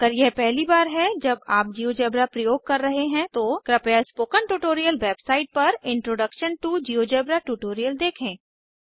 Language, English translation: Hindi, If this is the first time you are using Geogebra, please watch the Introduction to GeoGebra tutorial on the Spoken Tutorial website